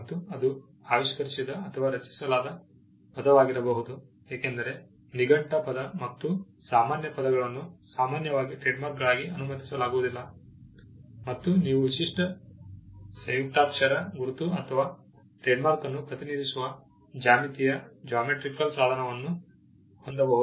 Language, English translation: Kannada, It can be an invented or a coined word, because dictionary word and generic words are not allowed as trademarks in the normal course and you can have a unique monogram logo or a geometrical device representing the trademark